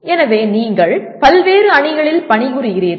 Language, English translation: Tamil, So you are working in diverse teams